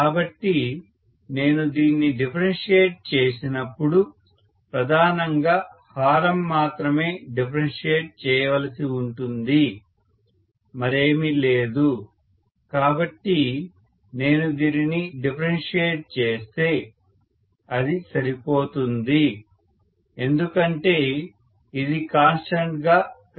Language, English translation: Telugu, So I can write when I differentiate this I will have to mainly differentiate only the denominator, nothing else, so if I differentiate this, that is sufficient because this looks like a constant, this is not going to matter